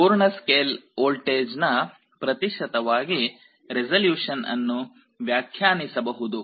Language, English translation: Kannada, Resolution can also be defined as a percentage of the full scale voltage